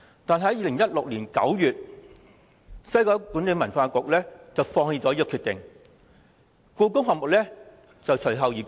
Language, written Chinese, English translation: Cantonese, 但是，在2016年9月1日，西九管理局放棄這項決定，而故宮館亦隨後公布。, However on 1 September 2016 WKCDA abandoned the plan and then the decision to build HKPM was announced